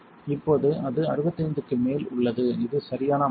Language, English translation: Tamil, Right now it is a little bit above 65 which is fine it is the right setting